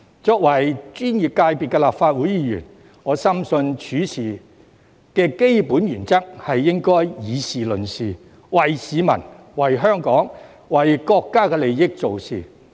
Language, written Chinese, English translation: Cantonese, 作為專業界別的立法會議員，我深信處事的基本原則應該是議事論事，為市民、為香港、為國家的利益做事。, As a Legislative Council Member from a professional constituency I firmly believe that the basic principle in handling business should be to discuss matters in this Council and to work for the interests of the public Hong Kong and the country